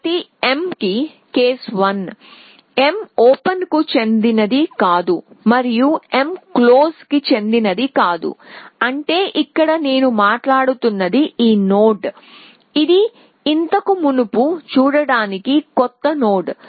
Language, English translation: Telugu, So, for each M, so case one m does not belongs to open and m does not belong to close which means it is this node here that I am talking about, it is a new node that has not been seen earlier essentially